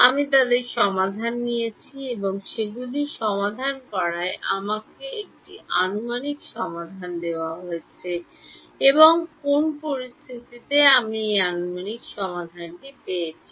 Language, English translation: Bengali, I solved them and solving them gave me an approximate solution and under what conditions did I get this approximate solution